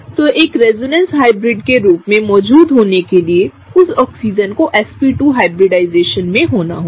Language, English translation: Hindi, So, in order to exist as a resonance hybrid the right way for that Oxygen to exhibit is having a sp2 hybridization, okay